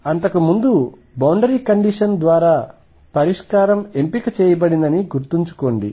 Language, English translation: Telugu, So, recall that earlier the solution was picked by boundary condition